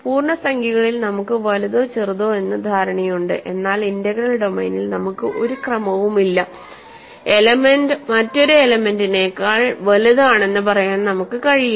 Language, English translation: Malayalam, In integers we have the notion of being big or small, in an arbitrary integral domain there is no order we cannot say one element is bigger than another element, but we are now going to use this following notion which also holds in the case of integers